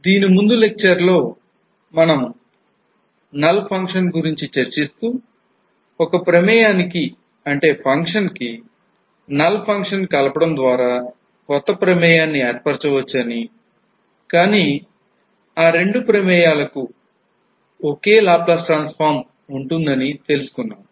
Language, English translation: Telugu, In the last lecture we were going through the null function and we have seen that, if we add the null function there may have certain functions whose square the Laplace transform of two functions will be same